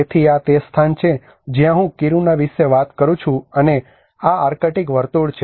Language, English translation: Gujarati, So this is the place where I am talking about Kiruna and this is the arctic circle